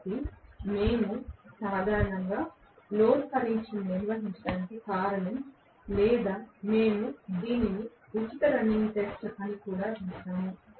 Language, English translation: Telugu, So, that is the reason why we conduct normally no load test or we also called it as free running test